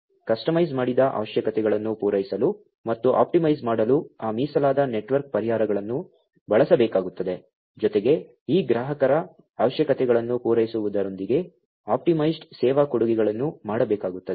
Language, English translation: Kannada, Those dedicated network solutions will have to be used in order to fulfil to the customized requirements plus optimized, you knows together with fulfilling these customers requirements optimized service offerings will have to be made